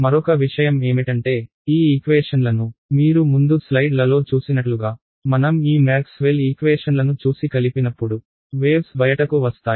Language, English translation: Telugu, Another thing is that when these equations are coupled as you saw in the slides before when I showed you Maxwell’s equations when I have coupled equations the equation of a wave comes out